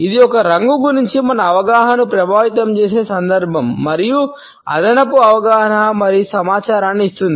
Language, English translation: Telugu, And it is a context which affects our perception of a color and gives an additional understanding and information